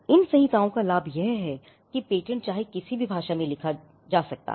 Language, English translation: Hindi, The advantage of these codes is that regardless of in what language the patent is written